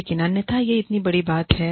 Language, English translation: Hindi, But, otherwise, is it such a big deal